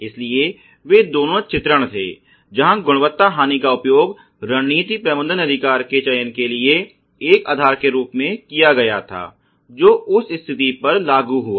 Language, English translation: Hindi, So, both of them were illustrations where quality loss was used as a basis for selection of the right to strategy management strategy which would be applied to that condition